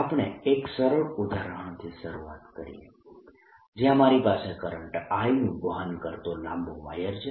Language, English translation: Gujarati, we start with the simplest example whereby i have a long wire carrying current i